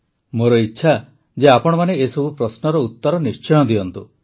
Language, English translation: Odia, I urge you to answer all these questions